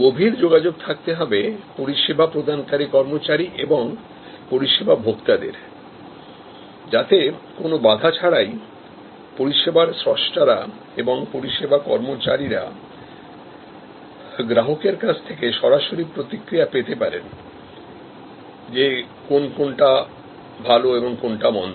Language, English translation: Bengali, Intensive communication between service employees and service consumers without any barrier, so that the service creators, the service employees get a direct feedback from the customers about, what is good and what is bad